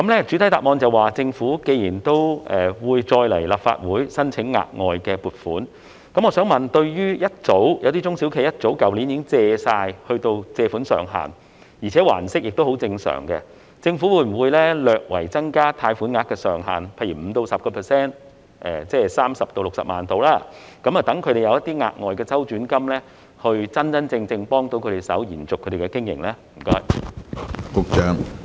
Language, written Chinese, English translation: Cantonese, 主體答覆指出，政府會再次向立法會申請額外撥款，我想問，有些中小企去年早已達到貸款上限，而且還息也十分正常，政府會否略為增加他們的貸款額上限，例如 5% 至 10%， 即是大約30萬元至60萬元，讓他們有額外的周轉金，真真正正幫助他們延續經營呢？, The main reply pointed out that the Government would seek additional funding from the Legislative Council again . May I ask given that some SMEs reached the loan ceiling as early as last year and have been repaying interest regularly will the Government slightly increase their loan ceiling by say 5 % to 10 % translated to 300,000 to 600,000 so as to truly help them sustain their business with additional cash flow?